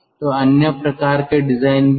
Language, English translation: Hindi, there could be a different kind of a design